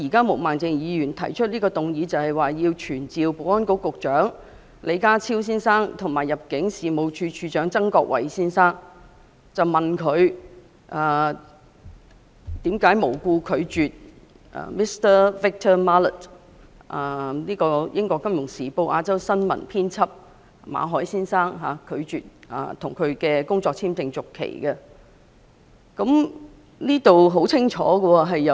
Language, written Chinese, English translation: Cantonese, 毛孟靜議員動議這項議案，旨在傳召保安局局長李家超先生及入境事務處處長曾國衞先生，詢問他們為何無故拒絕 Mr Victor MALLET—— 英國《金融時報》亞洲新聞編輯馬凱先生——的工作簽證續期申請。, Ms Claudia MO moved this motion to summon the Secretary for Security Mr John LEE and the Director of Immigration Mr Erick TSANG to explain why the Government refused to renew for no reason the work visa of Mr Victor MALLET Asia news editor of the Financial Times